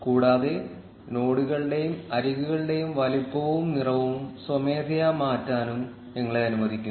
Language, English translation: Malayalam, And also lets you change the size and color of the nodes and edges manually